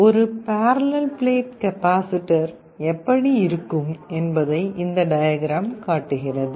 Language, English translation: Tamil, This diagram shows how a parallel plate capacitor looks like